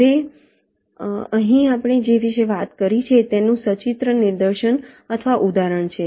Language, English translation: Gujarati, here there is a pictorial demonstration or illustration of what exactly we have talked about